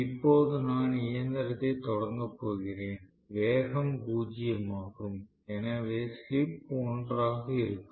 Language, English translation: Tamil, Then I am going to start a machine, speed is zero, so the slip will be one right